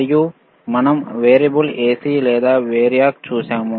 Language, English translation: Telugu, And we have seen a variable AC or variac